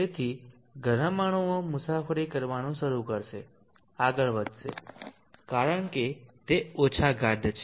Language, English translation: Gujarati, So the hotter molecules those will start travelling up, moving up, because they are less dense